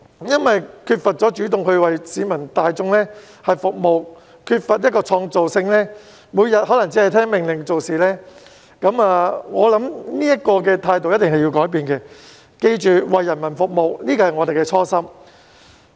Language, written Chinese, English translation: Cantonese, 他們缺乏主動性為市民大眾服務，缺乏創造性，每天可只聽命令做事，我認為這樣的態度一定要改變，要記着為人民服務是我們的初心。, They lack the initiative to serve the people and lack creativity as well . Every day they only work as instructed . I hold that this kind of attitude has to be changed